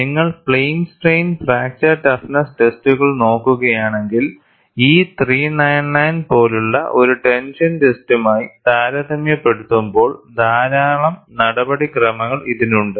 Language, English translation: Malayalam, If you look at, plane strain fracture toughness tests, even by E 399, lot of procedures in comparison to a tension test